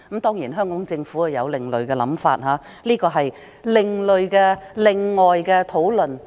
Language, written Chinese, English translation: Cantonese, 當然，香港政府有另類想法，而這是另外的一項討論。, Of course the Hong Kong Government has another issue to consider but that is another story